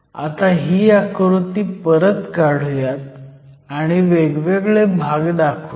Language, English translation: Marathi, So, let me redraw this diagram and mark the various regions here